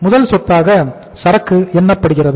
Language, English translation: Tamil, First asset is the inventory